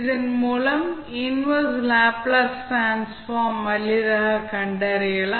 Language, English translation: Tamil, Then you can easily find out the inverse Laplace transform